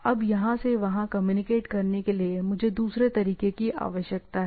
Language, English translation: Hindi, In order to communicate now from here to here what I require, I require another way to go there